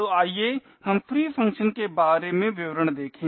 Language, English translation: Hindi, So let us look at details about the free function called